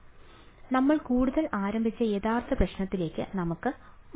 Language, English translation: Malayalam, So, let us go back to the very original problem that we started with further for